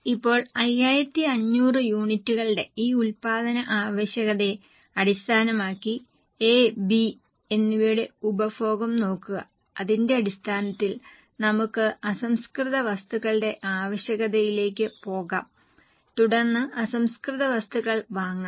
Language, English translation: Malayalam, Now based on this production requirement of 5,500 units, look at the consumption of A and B and based on that let us go for raw material requirement and then raw material purchase